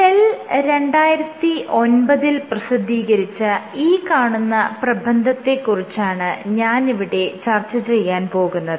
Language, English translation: Malayalam, So, this is the paper that I am going to talk about, this was published in Cell in 2009